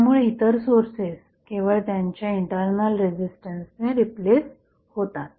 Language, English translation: Marathi, So, other sources are replaced by only the internal resistance